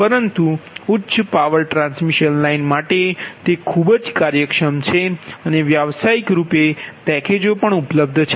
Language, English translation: Gujarati, but for high power transmission line it is very efficient and commercial packages, commercially, pack packages are available, right